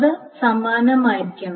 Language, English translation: Malayalam, So that is the same